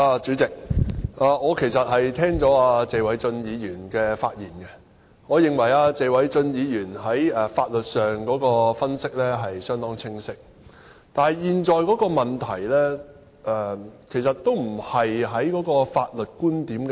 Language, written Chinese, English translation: Cantonese, 主席，聽罷謝偉俊議員的發言，我認為他在法律上的分析相當清晰，但現時的問題並非法律觀點的爭議。, President having listened to the speech of Mr Paul TSE I think he has made a rather clear legal analysis yet the problem in question is not a dispute on legal viewpoint